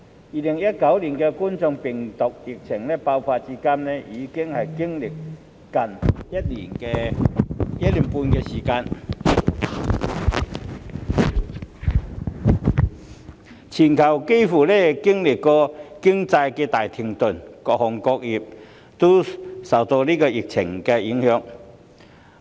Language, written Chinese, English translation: Cantonese, 2019冠狀病毒病疫情爆發至今，已經歷接近1年半的時間，其間全球經濟幾乎大停頓，各行各業也受疫情影響。, It has been nearly one and a half years since the outbreak of the Coronavirus Disease 2019 epidemic during which the global economy almost came to a standstill and various trades and industries were affected by the epidemic